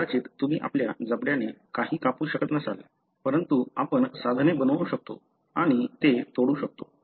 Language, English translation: Marathi, May be you are unable to cut open anything with our jaw, but we can make tools and break them and so on